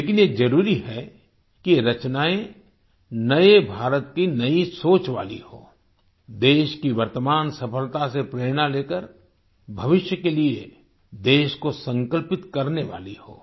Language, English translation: Hindi, But it is essential that these creations reflect the thought of new India; inspired by the current success of the country, it should be such that fuels the country's resolve for the future